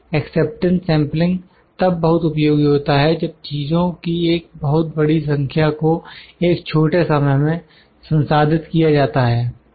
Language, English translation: Hindi, Acceptance sampling is most useful when a large number of items must be processed in a short time